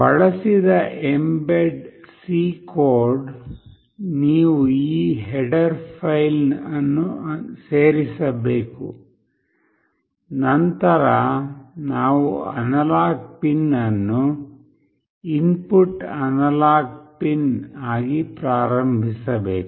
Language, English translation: Kannada, The mbed C code that is used, you have to include this header file then we have to initialize an analog pin as an input analog pin